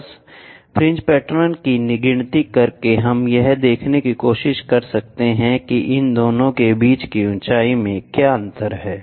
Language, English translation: Hindi, Just by counting the fringe patterns we can try to see what is the height difference between these two